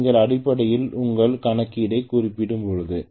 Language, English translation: Tamil, When you are essentially reducing your calculation that is all